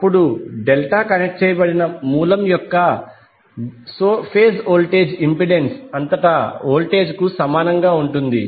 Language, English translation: Telugu, Than the phase voltage of the delta connected source will be equal to the voltage across the impedance